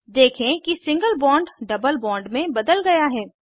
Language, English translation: Hindi, Observe that Single bond is converted to a double bond